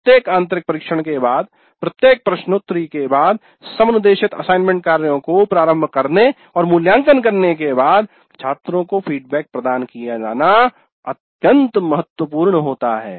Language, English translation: Hindi, After every internal test, after the quiz, after the assignments are turned in and evaluated, feedback must be provided to the students